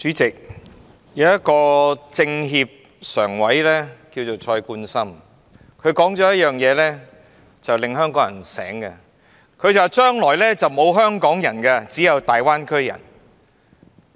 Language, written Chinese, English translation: Cantonese, 主席，有位政協常委名為蔡冠深，他曾指出一點，令香港人覺醒：將來沒有"香港人"，只有"大灣區人"。, President Mr Jonathan CHOI member of the Standing Committee of the CPPCC National Committee has made a point which comes as a wake - up call for the people of Hong Kong We will only have Greater Bay Area people but not Hong Kong people in the future